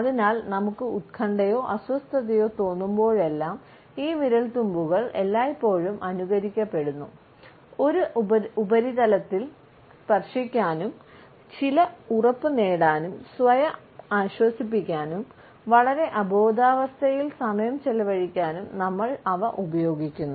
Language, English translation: Malayalam, And therefore, whenever we feel anxious or upset, these fingertips always are simulated and we use them either to touch a surface, to get certain assurance, to caress ourselves, to console ourselves, to while away the time in a very unconscious manner